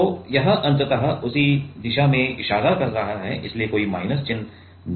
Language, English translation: Hindi, So, it is ultimately pointing in the same direction so there will be no negative